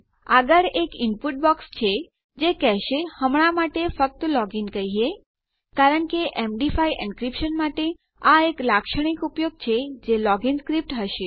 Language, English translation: Gujarati, Next, Ill have an input box and this will say, lets just say log in for now because this is a typical use for an MD5 encryption which would be a log in script